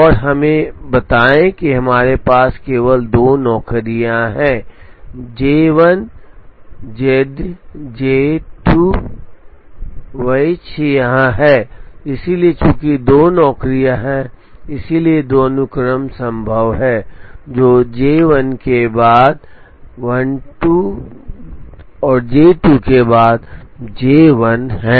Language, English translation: Hindi, And let us say we have only two jobs J 1 and J 2 which are here, so since there are two jobs, there are two sequences possible, which is J 1 followed by J 2 and J 2 followed by J 1